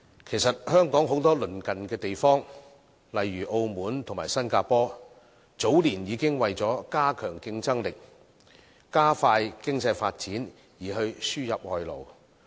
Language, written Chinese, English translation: Cantonese, 其實，香港很多鄰近地方，例如澳門和新加坡，早年已經為了加強競爭力，加快經濟發展而輸入外勞。, In fact many neighbouring places of Hong Kong such as Macao and Singapore have already imported foreign labour years ago to enhance competitiveness and accelerate economic development